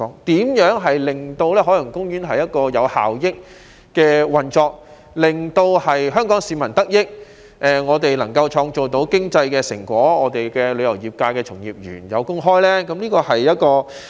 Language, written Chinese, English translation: Cantonese, 怎樣才能令海洋公園有效益地運作，使香港市民得益，既能創造經濟成果，又能讓旅遊業界從業員有工開呢？, How can Ocean Park operate in a cost - effective manner so that Hong Kong people can benefit creating economic benefits while providing jobs to practitioners in the tourism industry?